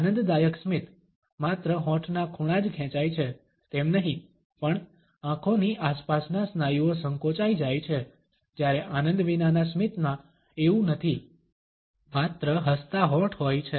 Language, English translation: Gujarati, An enjoyment smile, not only lip corners pulled up, but the muscles around the eyes are contracted, while non enjoyment smiles no just smiling lips